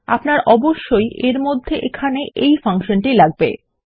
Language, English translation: Bengali, You will, of course, need this function inside here, as well